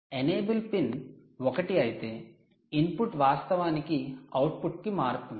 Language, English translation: Telugu, only if enable pin is one, the input actually switches to the output